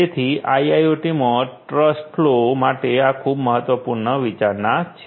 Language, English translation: Gujarati, So, this is a very important consideration for trust flow in IIoT